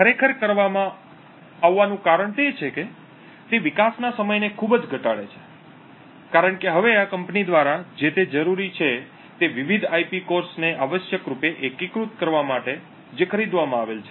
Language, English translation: Gujarati, The reason this is actually done is that it drastically reduces development time because now all that is required by this company is to essentially integrate various IP cores which is purchased